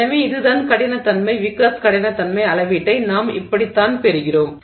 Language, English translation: Tamil, So, that's the basic idea and that's the wickers hardness measurement